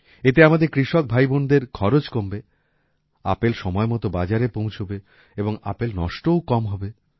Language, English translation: Bengali, This will reduce the expenditure of our farmer brothers and sisters apples will reach the market on time, there will be less wastage of apples